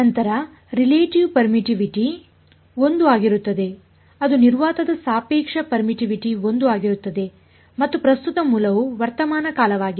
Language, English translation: Kannada, Then the relative permittivity will be 1 that relative permittivity of vacuum is 1 and current source is present